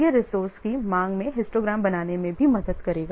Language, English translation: Hindi, It will help in making even the histograms in the demand for a resource